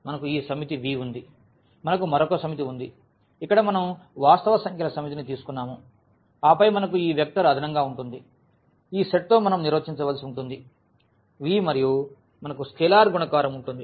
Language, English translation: Telugu, We have this set of V, we have another set which we have taken here the set of real numbers and then we will have this vector addition which we have to define with this set V and we have scalar multiplication